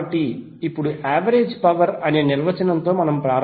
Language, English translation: Telugu, So now let’s start with the average power definition